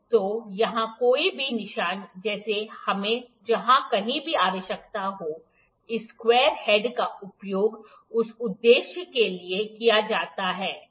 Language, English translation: Hindi, So, any markings like here what wherever we need, this square head is used for this purposes, ok